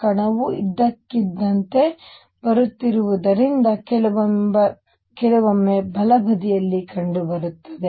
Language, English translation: Kannada, So, as the particle has coming in suddenly you will find the sometimes is found on the right hand side